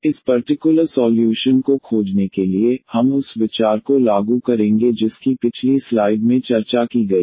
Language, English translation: Hindi, So, to find this particular solution, we will apply the idea which is discussed in the previous slide